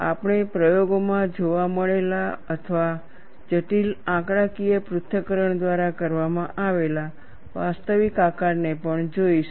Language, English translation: Gujarati, You will have to look at the actual shape, we will also look at the actual shape as seen in experiments or as done by complicated numerical analysis